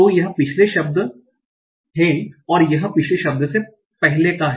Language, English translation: Hindi, What is your previous and previous to previous word